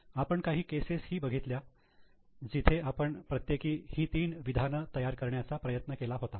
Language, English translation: Marathi, We have also considered some cases where we have tried to prepare each of the three statements